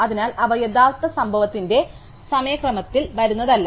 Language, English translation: Malayalam, So, it is not that they come in order of the time of the actual event